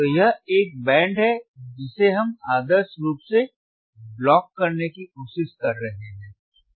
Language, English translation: Hindi, So, this is a band that we are trying to block actual iideally